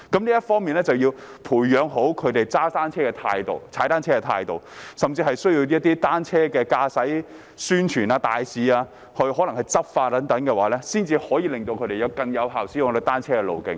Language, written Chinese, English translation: Cantonese, 在這方面，政府要培養市民踏單車的正確態度，甚至需要透過單車宣傳大使或執法等，才能令他們更有效地使用單車徑。, In this regard the Government should cultivate among the public a correct attitude for cycling . Perhaps Cycling Safety Ambassadors or law enforcement is needed to make them use cycling trails more effectively